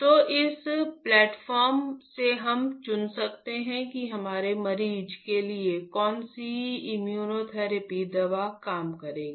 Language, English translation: Hindi, So, from this platform we can select which immunotherapy drug will work for our patient 1